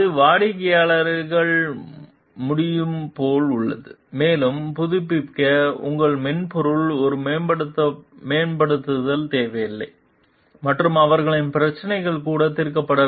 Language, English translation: Tamil, And it is like the clients are able to like, update also the, your software does not require update and they can their problems get solved also